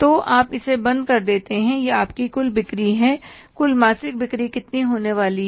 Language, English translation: Hindi, These are your total sales, total monthly sales are going to be how much